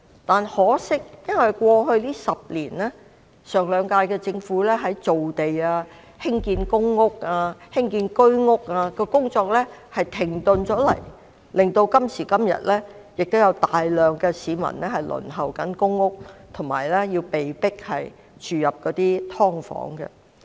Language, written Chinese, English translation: Cantonese, 但可惜的是，過去10年，前兩屆政府造地及興建公屋和居屋的工作停滯不前，導致今時今日仍有大量市民輪候公屋，被迫住在"劏房"。, Yet regrettably over the past decade the work of the Government of the last two terms in land creation as well as construction of PRH and Home Ownership Scheme units has stopped . Consequently today a large number of people are still waiting for PRH and forced to live in subdivided units